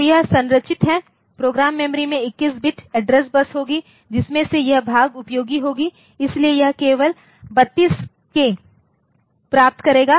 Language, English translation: Hindi, So, this is the structured so program memory will it will be having a 21 bit address bus, out of that this part will be useful so, 32K will only receive this only 32K